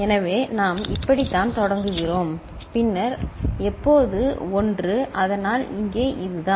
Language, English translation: Tamil, So, this is how we are starting and then when so that when one, so, this is the case over here